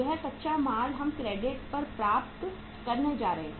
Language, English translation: Hindi, This raw material we are going to get on the credit